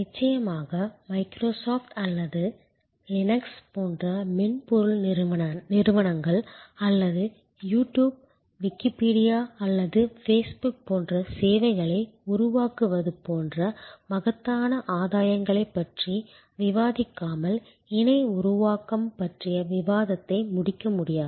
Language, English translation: Tamil, And of course, we cannot conclude a discussion on co creation without discussing the enormous gains that have been made by come software companies, like Microsoft or Linux or creation of services, like YouTube, Wikipedia or facebook